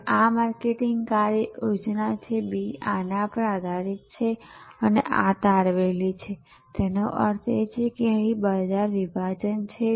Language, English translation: Gujarati, And this is marketing action plan B is based on these and these are derived; that means, which market segment